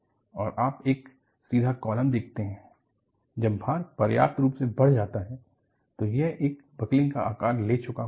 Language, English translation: Hindi, And, you see that a column, which was straight, when the load is sufficiently increased, it has taken a buckled shape